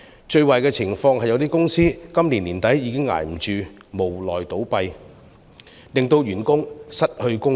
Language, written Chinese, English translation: Cantonese, 最壞的情況是有些公司今年年底已支持不住，無奈倒閉，令員工失去生計。, In the worst - case scenario some companies might close by the end of the year and their employees might also lose their means of living